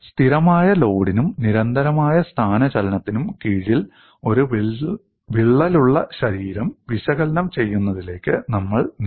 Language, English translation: Malayalam, Then we moved on to analyzing a crack body under constant load and constant displacement